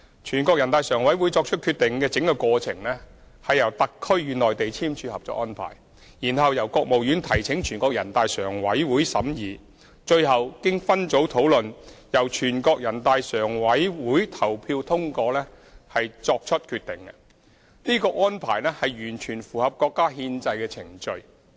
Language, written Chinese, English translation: Cantonese, 全國人大常委會作出決定的整個過程，是由特區與內地簽署《合作安排》，然後由國務院提請全國人大常委會審議，最後經分組討論後由全國人大常委會投票通過作出決定，這安排完全符合國家的憲制程序。, The entire process leading to the adoption of the decision by NPCSC involves the signing of the Co - operation Arrangement between HKSAR and the Mainland followed by the submission to NPCSC by the State Council for examination and finally the adoption of the decision by NPCSC by voting following deliberations in group meetings . This is fully consistent with the constitutional process of the country